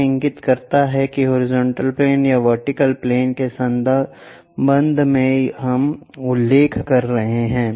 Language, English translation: Hindi, That indicates that with respect to either horizontal plane or vertical plane we are referring